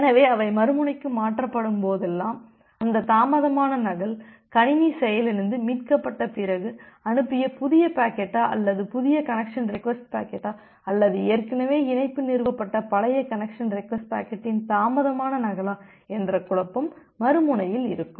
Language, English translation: Tamil, So, whenever those have been transferred to the other end, then the other end is in a confusion whether that delayed duplicate is just because the system has got crashed and now recovered and sent a new packet, new connection request packet or it is just delayed duplicate of the old connection request packet through which the connection has already been established